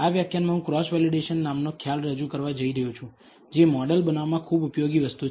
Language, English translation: Gujarati, In this lecture I am going to introduce concept called Cross Validation which is a very useful thing in model building